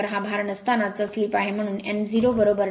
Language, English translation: Marathi, 01 that is your no load slip, so n 0 will be 99 rpm